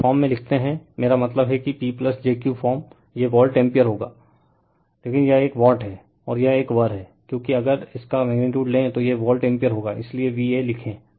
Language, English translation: Hindi, When you write this in form, I mean P plus jQ form, it will be volt ampere right, but this one is watt, and this one is var because, if you take its magnitude, it will be volt ampere that is why we write VA